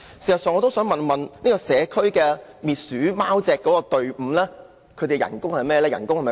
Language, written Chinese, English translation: Cantonese, 事實上，我想問社區滅鼠貓隻隊伍的薪酬如何？, In fact may I ask what remuneration packages are offered to community cat rodent control squads?